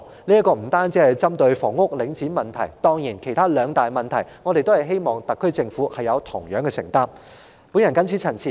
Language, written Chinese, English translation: Cantonese, 這不單是針對領展的問題，當然還有其他兩大問題，我們希望特區政府同樣有承擔。, For the other two major problems we also hope that the SAR Government will similarly assume the responsibility